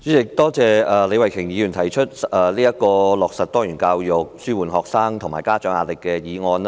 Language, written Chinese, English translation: Cantonese, 主席，多謝李慧琼議員動議"落實多元教育紓緩學生及家長壓力"議案。, President I would like to thank Ms Starry LEE for moving the motion on Implementing diversified education to alleviate the pressure on students and parents